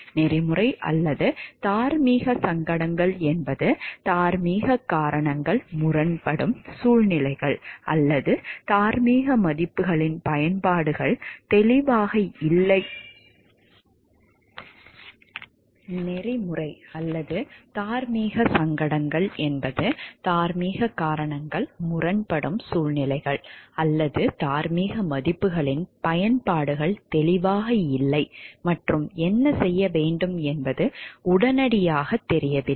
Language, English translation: Tamil, Ethical or moral dilemmas are situations in which moral reasons come into conflict, or in which the applications of moral values are unclear and, it is not immediately obvious what should be done